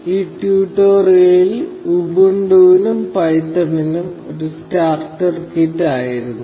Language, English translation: Malayalam, This tutorial was just a getting started kit for Ubuntu and python